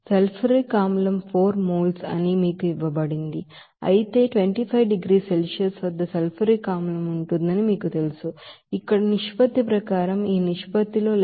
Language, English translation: Telugu, And then sulfuric acid as a liquid that is given to you that is 4 moles whereas in you know that sulfuric acid at 25 degree Celsius where this ratio of as per ratio here it is 11